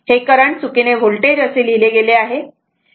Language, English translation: Marathi, It may be current, it may be voltage, right